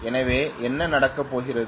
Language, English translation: Tamil, That is what it is going to do